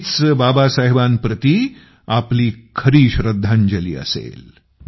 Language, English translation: Marathi, This shall be our true tribute to Baba Saheb